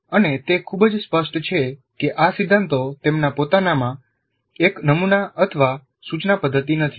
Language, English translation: Gujarati, And he is very clear that these principles are not in and of themselves a model or a method of instruction